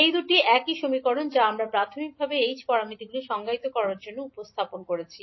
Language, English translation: Bengali, So these two are the same equations which we represented initially to define the h parameters